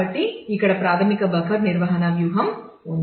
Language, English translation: Telugu, So, here is a basic buffer management strategy